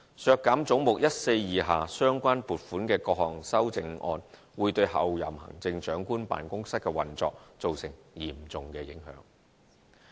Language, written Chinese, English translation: Cantonese, 削減總目142下相關撥款的各項修正案會對候任行政長官辦公室的運作造成嚴重影響。, The various amendments which seek to reduce the funding concerned under head 142 will pose a serious impact on the operation of the Office of the Chief Executive - elect